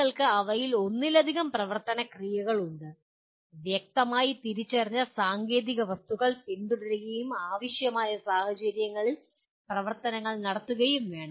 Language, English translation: Malayalam, And the action verbs you can have multiple of them, should be followed by clearly identified technical objects and if required by conditions under which the actions have to be performed